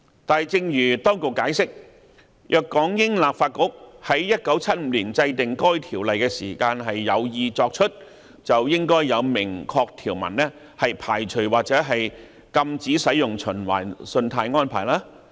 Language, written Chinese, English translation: Cantonese, 但正如當局解釋，若港英立法局在1975年制定該條例時有意作此限制，應該有明確條文排除或禁止使用循環信貸安排。, But as explained by the Administration had it been the intention of the British Hong Kong Legislative Council to impose such restrictions when enacting the Ordinance in 1975 there should be express references carving out or prohibiting revolving credit facility